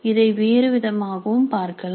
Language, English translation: Tamil, We can look at it another way